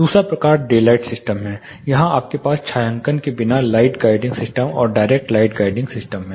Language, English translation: Hindi, Second type is daylight system without shading here you have, diffuse light guiding system and direct light guiding system